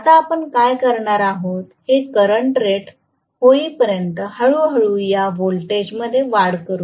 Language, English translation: Marathi, Now, what we are going to do is increase this voltage slowly until this current reads rated current